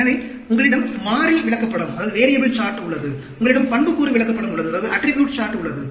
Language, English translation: Tamil, So, you have a variable chart, you have the attribute chart